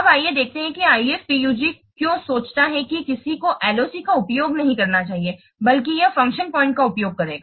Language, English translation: Hindi, Now let's see why IFPUG thinks that one should not use LOC rather they should use function point